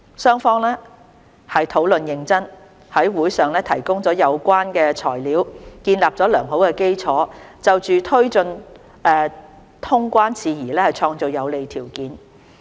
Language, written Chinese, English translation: Cantonese, 雙方討論認真，在會上提供了有關的材料，建立了良好基礎，就推進通關事宜創造有利條件。, The two sides discussed earnestly provided relevant information and built a solid foundation for creating favourable conditions to take forward the resumption of quarantine - free travel